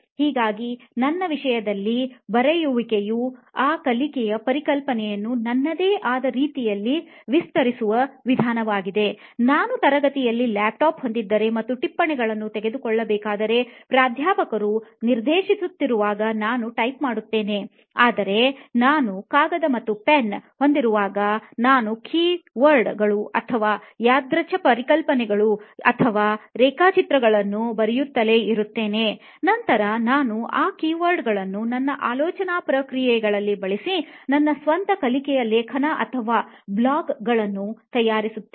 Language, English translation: Kannada, So in my case writing is a way of learning in elaborating that concept in my own way which cannot be possible in typing I see, if I am having a laptop in a classroom and if I am supposed to take notes I will just keep typing what the professor is dictating or trying to teach whereas, when I have a pen on a paper I will just keep writing keywords or random concepts or diagrams then I will put my thought process into those keywords and come up with my own learning article or a blog kind of a thing around that concept